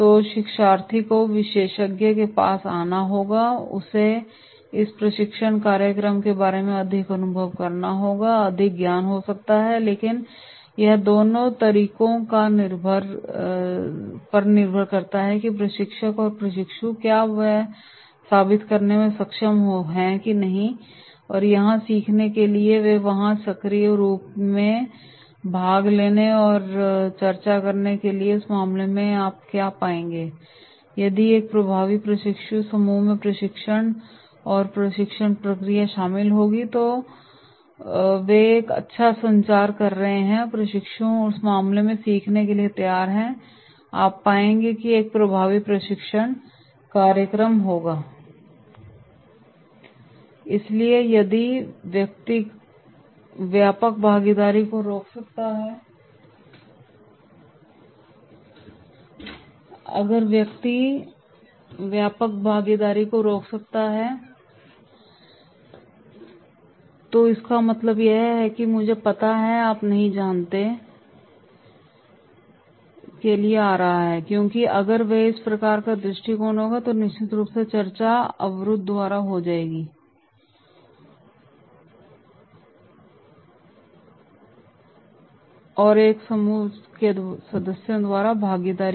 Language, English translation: Hindi, So learner has to come to the expert, he is having more experience, more knowledge about this particular training program but it depends on both ways that is the trainer and trainees they should be able to prove yes they are here to learn and they are here to actively participate and discuss and therefore in that case you will find that is the if an effective training group will be including the trainer, training and training process that is they are having a good communication and the trainees are ready to learn then in that case you will find it will be an effective training program So therefore if the person is blocking wider participation that is what it means that, he is coming to the “I know, you do not know” because if this type of approach will be there then definitely in discussion there will be the blocking by the participation by members of a group